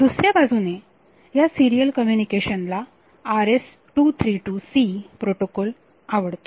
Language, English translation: Marathi, On the other hand this serial communication protocol likes is RS232 C type of protocol